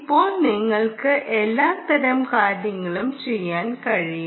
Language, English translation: Malayalam, now you can do all kinds of nice things